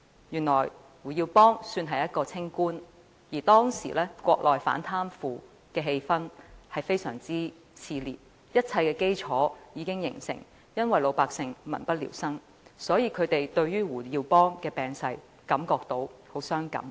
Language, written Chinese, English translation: Cantonese, 原來胡耀邦算是一名清官，而當時國內反貪腐的氣氛相當熾熱，一切基礎已經形成，也是由於老百姓民不聊生，所以他們對胡耀邦病逝感到很傷感。, I learnt that HU Yaobang was an honest and upright official . At that time the anti - corruption spirit on the Mainland was at its highest which formed the foundation and the general public were in abject poverty . Against this background they were deeply grieved by the death of HU Yaobang